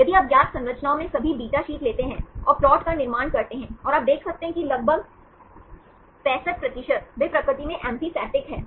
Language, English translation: Hindi, If you take the all the beta sheets in the known structures and construct the plots and you can see about 65 percent, they are amphipathic in nature